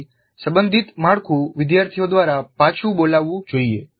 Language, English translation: Gujarati, So the relevant framework must be recalled by the students